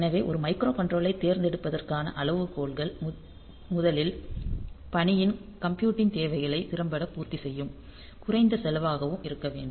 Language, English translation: Tamil, So, for the criteria for choosing a micro controller is first of all the meeting the computing needs of the task efficiently and cost effectively